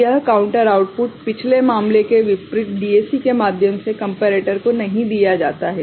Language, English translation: Hindi, So, this counter output is not fed through a DAC to the comparator unlike the previous case